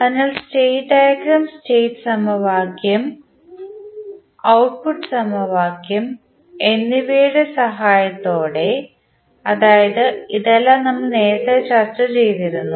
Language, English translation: Malayalam, So, with the help of state diagram, state equation and output equation we know we have discussed in the previous lectures